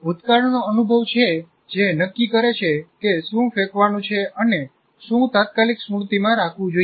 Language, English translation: Gujarati, So it is a past experience that decides what is to be thrown out and what should get into the immediate memory